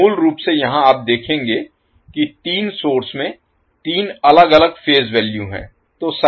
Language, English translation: Hindi, So, basically here you will see that the 3 sources are having 3 different phase value